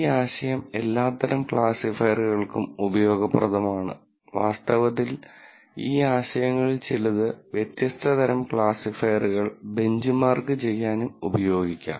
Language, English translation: Malayalam, This idea is useful for all kinds of classifiers and in fact, some of these ideas could be used to benchmark different classifiers